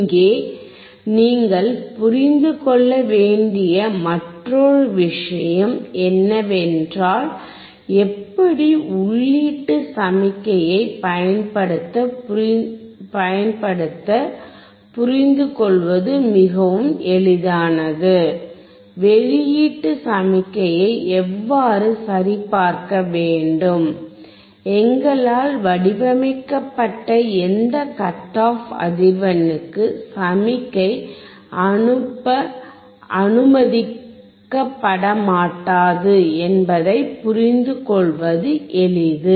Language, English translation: Tamil, Another thing that you have to understand here is that it is very easy to understand how to apply the input signal; how to check the output signal; and at what cut off frequency designed by us the signal will not allowed to be passed